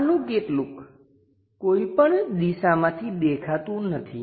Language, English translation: Gujarati, Some of the things not at all visible from any of these views